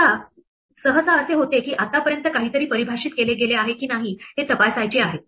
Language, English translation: Marathi, Now, usually what happens is that we want to check whether something has been defined or not so far